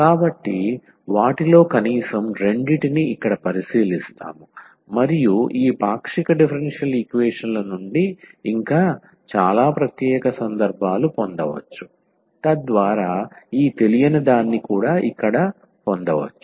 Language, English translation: Telugu, So, we will consider here at least two of them and there could be many more special cases can be derived from this partial differential equations so that we can get this unknown here I